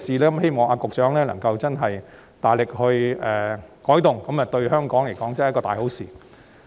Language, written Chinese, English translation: Cantonese, 我希望局長能夠真正大力作出改動，這樣對香港確實是一件大好事。, I hope that the Secretary can really exert great effort to make changes as this would be of great help to Hong Kong